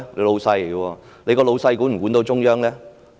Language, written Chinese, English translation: Cantonese, 他的老闆管得到中央嗎？, Can his boss exercise control over the Central Authorities?